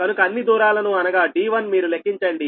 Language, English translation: Telugu, so all the distances you compute, d one b one, how much